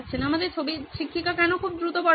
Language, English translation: Bengali, Why is the teacher in our picture going very fast